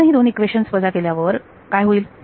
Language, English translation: Marathi, We subtract these two equations, what happens